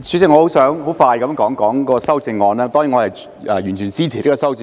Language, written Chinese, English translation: Cantonese, 主席，我想很快地談談修正案，當然我完全支持修正案。, Chairman I have some quick words about the amendments . Of course I fully support the amendments